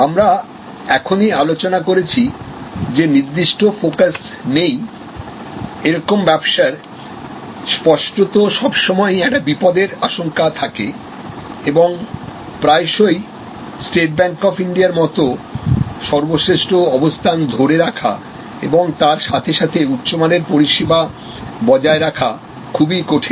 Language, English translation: Bengali, Unfocused we just now discussed and in this; obviously, there is always a danger and it is often quit difficult to retain the preeminent position like State Bank of India yet maintain a high quality of service